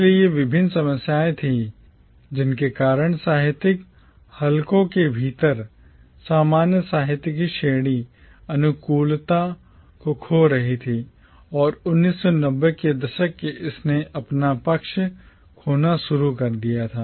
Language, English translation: Hindi, So these were the various problems because of which the category of commonwealth literature was losing favour within literary circles and it started losing favour by the 1990’s